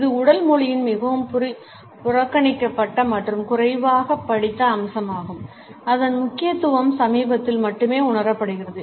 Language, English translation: Tamil, It is a much neglected and less studied aspect of body language and its significance is being felt only recently